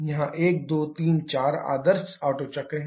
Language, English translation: Hindi, Here 1 2 3 4 is the ideal Otto cycle